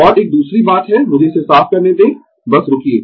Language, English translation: Hindi, And, another thing is let me clear it, just hold on